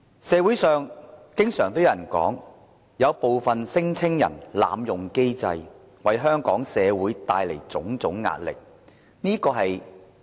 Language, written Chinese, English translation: Cantonese, 社會上經常有人說，部分聲請人濫用機制，為香港社會帶來種種壓力。, Many people in the community say that some claimants have abused the system therefore creating a heavy burden on Hong Kong society